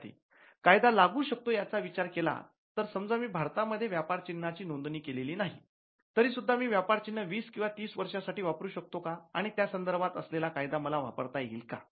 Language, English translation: Marathi, Student: With the law of we applicable, if I do not register a trademark in India and still for if a long time for 20 years, or 30 years can I use it law of